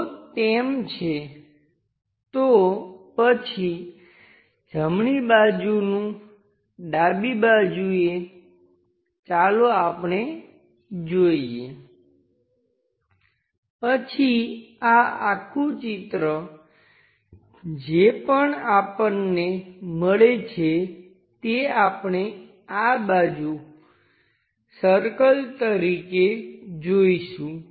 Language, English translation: Gujarati, If that is the case, then the right side to left side let us visualize, then this entire circular format whatever we are getting that we will see it as circle on this side